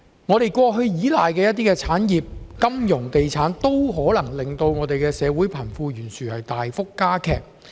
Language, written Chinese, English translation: Cantonese, 香港過去依賴的部分產業，例如金融業、地產業，均可能令社會貧富懸殊大幅加劇。, The industries that Hong Kong has long relied upon including the financial and real estate industries might be the cause of the worsening wealth disparity